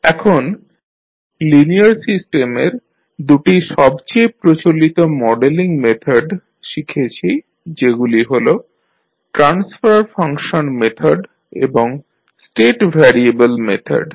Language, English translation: Bengali, Now, we have studied two most common methods of modeling the linear system that were transfer function methods and the state variable method, so these two we have discussed